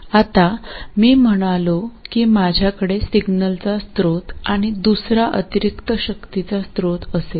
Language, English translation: Marathi, Now, now I said that I will have a source of signal and another additional source of power